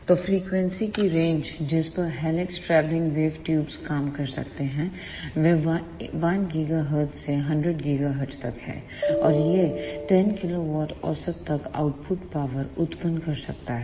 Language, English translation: Hindi, So, the range of frequencies over which the helix travelling wave tubes can work is from 1 gigahertz to 100 gigahertz; and it can generate output powers up to 10 kilowatt average